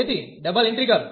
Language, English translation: Gujarati, So, the double integral